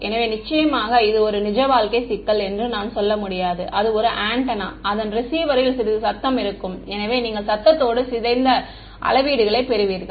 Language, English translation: Tamil, So, of course, I cannot I mean this is a real life problem this is an antenna there will be some noise on the receiver so you will get noise corrupted measurements